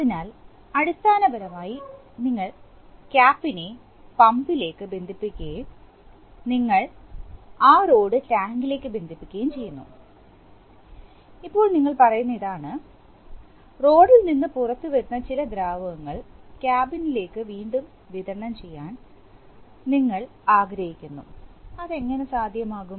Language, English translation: Malayalam, So, you connect, basically you connect the Cap into the pump and you connect that rod into the tank, now here what we are saying is that, we want to re circulate some of the fluid which is coming out of the rod end into the cabin, so how that is possible